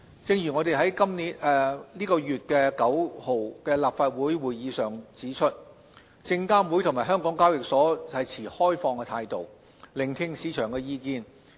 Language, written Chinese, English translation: Cantonese, 正如我們在本月9日的立法會會議上指出，證監會及港交所持開放的態度，聆聽市場的意見。, As we said on the Council meeting held on the ninth this month SFC and HKEx will keep an open mind and listen to market views